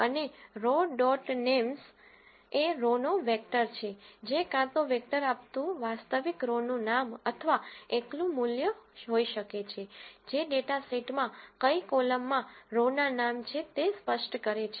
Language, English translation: Gujarati, And row dot names is a vector of row names, it can be either a vector giving the actual row names or a single value which specifies what column of the data set is having the row names